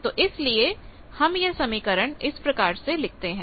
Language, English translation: Hindi, So, we can write the expression like this